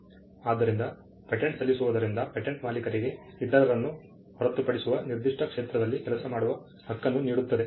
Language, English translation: Kannada, So, filing a patent gives the patentee or the patent owner, the right to work in a particular sphere to the exclusion of others